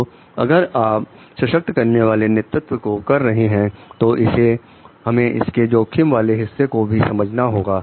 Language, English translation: Hindi, So, if you are doing as an empowering leadership we need to understand the risk part of it also